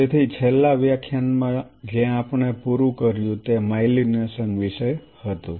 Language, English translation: Gujarati, So, in the last class where we just ended was about myelination